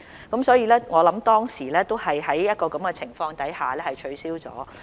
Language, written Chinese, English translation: Cantonese, 我認為當時的考試都是在這種情況下取消的。, I think the examinations at that time were cancelled under such circumstances